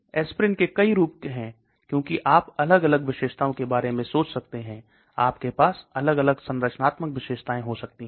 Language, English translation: Hindi, There are many variations of aspirin because you can think about differentsubstitutions and you can have different structural features